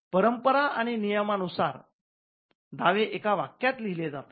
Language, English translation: Marathi, So, by convention claims are written in one sentence